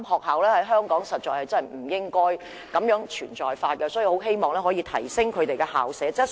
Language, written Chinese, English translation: Cantonese, 香港實在不應該再有"火柴盒"學校，所以我很希望可以提升校舍質素。, The so - called matchbox schools should not exist in Hong Kong anymore and I very much hope that the quality of school premises can be enhanced